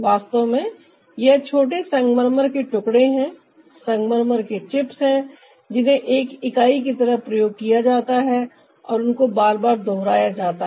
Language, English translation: Hindi, in fact, these are the small marble pieces, the marble chips, that are used as one unit and ah they are repeated